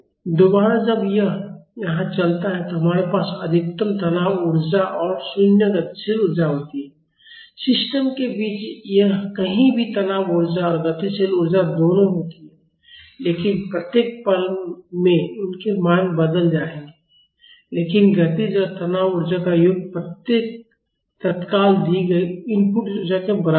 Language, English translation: Hindi, Again, when this moves here we have maximum strain energy and 0 kinetic energy, anywhere in between the system will have both strain energy and kinetic energy, but at each instant their values will change, but the sum of the kinetic and strain energy at each instant will be equal to the input energy given